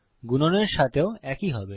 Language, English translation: Bengali, Now lets try multiplication